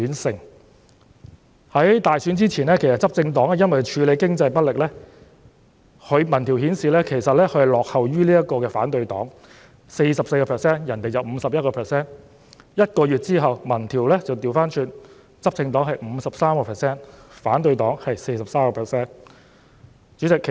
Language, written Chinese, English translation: Cantonese, 在大選之前，執政黨由於處理經濟問題不力，民調顯示支持度落後於反對黨，他們原來只有 44% 的支持率，而對方卻有 51%； 但1個月後，民調逆轉，執政黨是 53%， 反對黨是 43%。, Before the election as the ruling party had performed ineffectively in tackling the economic problems opinion polls showed that their popularity was behind that of the opposition party . Originally their support rate was only 44 % compared to 51 % of the opposition party . But a month later the poll results reversed in that the ruling party had a rate of 53 % whereas the opposition partys was 43 %